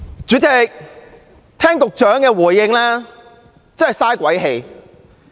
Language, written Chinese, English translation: Cantonese, 主席，聽局長的回應，簡直是白費心機。, President it is futile to listen to the replies of the Secretary